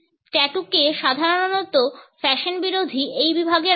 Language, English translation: Bengali, Tattoos are normally put in this category of anti fashion